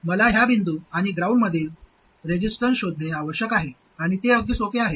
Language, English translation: Marathi, So what I have to do is to find the resistance between this point and ground and that's quite easy